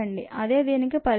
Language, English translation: Telugu, this is the problem